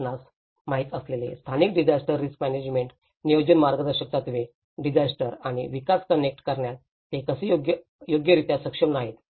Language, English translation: Marathi, So that is where the local disaster risk management planning guidelines you know, how it is not properly able to connect the disasters and development